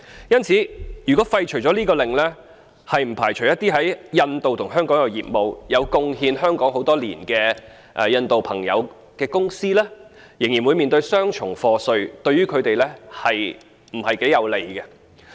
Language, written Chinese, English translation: Cantonese, 因此，如果廢除了這項命令，不排除一些在印度和香港也有業務，對香港作出貢獻很多年的印度朋友的公司，仍會面對雙重課稅，對於他們頗為不利。, Hence if the Indian Order is repealed the possibility of some companies with businesses both in India and Hong Kong―and owned by members of the local Indian community who have been contributing to Hong Kong for years―being subject to double taxation cannot be ruled out which would be most unfavourable to them